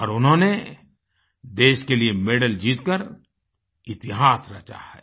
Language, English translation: Hindi, And she has created history by winning a medal for the country